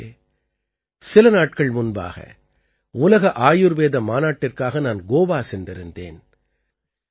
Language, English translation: Tamil, Friends, a few days ago I was in Goa for the World Ayurveda Congress